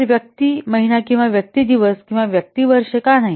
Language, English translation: Marathi, So, why person month and not person days or person years